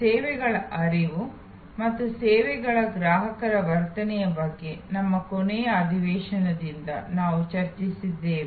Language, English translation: Kannada, We are discussing since our last session about consumers in a services flow and the services consumer behavior